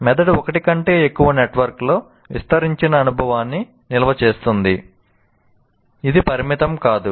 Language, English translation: Telugu, And brain stores an extended experience in more than one network